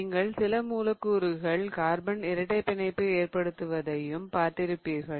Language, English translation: Tamil, So, you must have seen molecules in which carbon is forming double bonds